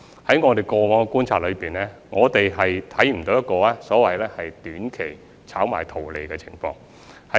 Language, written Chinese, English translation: Cantonese, 在我們過往的觀察中，我們看不到有所謂短期炒賣圖利的情況。, In our past observation we did not find any short - term speculative activities for profit